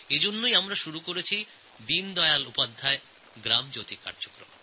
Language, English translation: Bengali, For this purpose, we have launched "Deendayal Upadhyaya Gram Jyoti Programme"